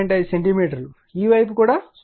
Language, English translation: Telugu, 5 centimeter this side also 0